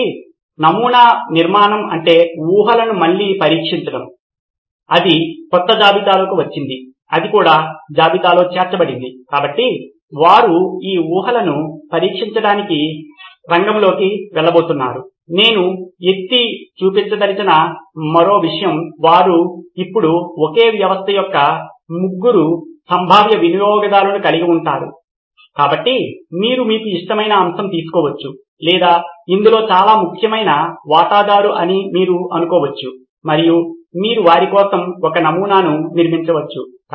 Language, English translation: Telugu, So prototyping building is to test the assumptions again there was a new assumption that came up, that was also added to the list, so they are going to go to the field to test these assumptions, one more point I would like to point out is they had now they have three potential users of the same system, so you can take a pic on which is your favourite or you think is the most important stakeholder in this and you can build a prototype for them, as the assumptions for them